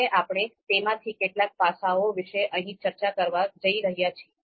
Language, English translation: Gujarati, So now, we are going to talk about some of those aspects here